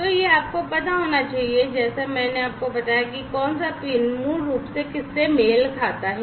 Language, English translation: Hindi, So, this you need to know as I told you that which pin basically corresponds to what